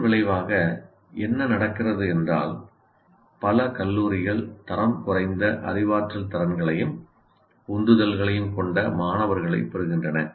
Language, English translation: Tamil, So as a result what happens is many colleges can find the students with very poor cognitive abilities and motivations